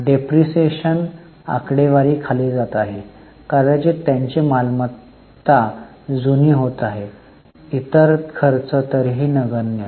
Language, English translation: Marathi, Depreciation figures are going down perhaps because their assets are becoming older